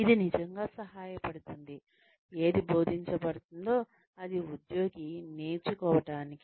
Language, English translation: Telugu, That will really help, the employee learn, whatever one is being taught